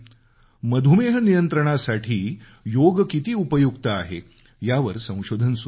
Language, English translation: Marathi, There are several studies being conducted on how Yoga is effective in curbing diabetes